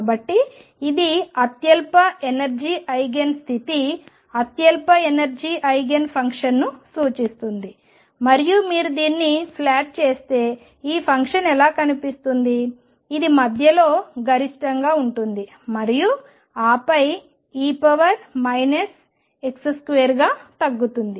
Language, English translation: Telugu, So, this represents the lowest energy Eigen state lowest energy Eigen function and how does this function look if you plot it, it is maximum in the middle and then goes down as e raised to minus x square this is how it looks